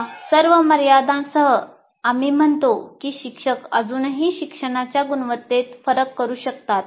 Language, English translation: Marathi, So with all these limitations, we claim or we say a teacher can still make a difference to the quality of learning